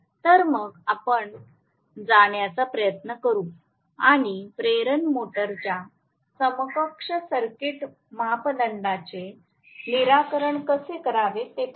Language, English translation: Marathi, So, let us try to go and see how to determent the equivalent circuit parameters of the induction motor